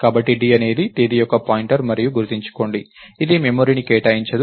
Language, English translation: Telugu, So, d is a pointer of the type Date and remember, it doesn't allocate memory to it doesn't allocate ah